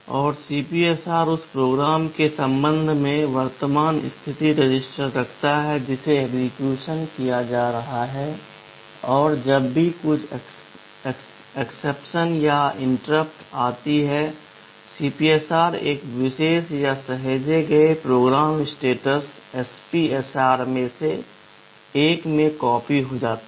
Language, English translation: Hindi, And CPSR holds the current status register with respect to the program that is being executed, and whenever some exception or interrupt comes, the CPSR gets copied into one of the special or saved program status registers SPSRs